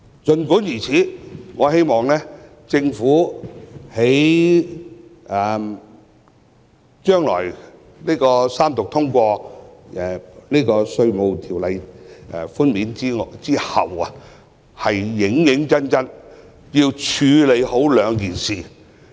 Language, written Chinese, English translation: Cantonese, 儘管如此，我希望政府在三讀通過《條例草案》後，認真處理兩件事。, Notwithstanding I hope the Government can deal with two things seriously upon the passage of the Bill after it is read the Third time